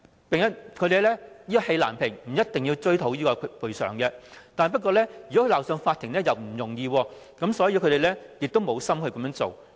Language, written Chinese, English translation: Cantonese, 即使是氣難平，他們不一定是要追討賠償，鬧上法庭又殊不容易，所以投訴人亦無意這樣做。, But despite their grievance they do not always want to seek compensation . And since bringing their cases to court is no easy task many complainants do not have any such intention anyway